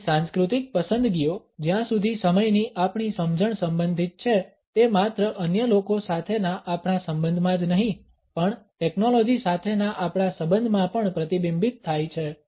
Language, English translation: Gujarati, Our cultural preferences as far as our understanding of time is concerned are reflected not only in our relationship with other people, but also in our relationship with technology